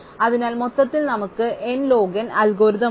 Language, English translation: Malayalam, So, overall we have and n log n algorithm